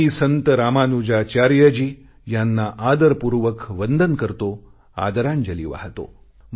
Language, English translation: Marathi, I respectfully salute Saint Ramanujacharya and pay tributes to him